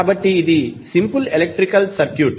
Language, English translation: Telugu, So, it is like a simple electrical circuit